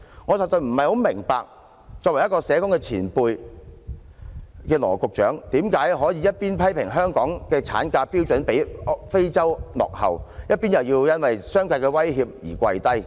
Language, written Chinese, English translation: Cantonese, 我實在不明白作為社工前輩的羅局長，為何可以一邊批評香港的產假標準比非洲落後，一邊卻又因為商界的威脅而屈服。, I really cannot understand why Secretary Dr LAW who is such a veteran social worker criticizes the standard of maternity leave in Hong Kong as more backward than those of African countries while at the same time succumbing to the threats from the business sector on the matter of paternity leave